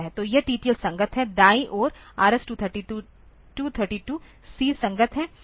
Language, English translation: Hindi, So, this one this is this left side is TTL compatible on the right side is RS232 C compatible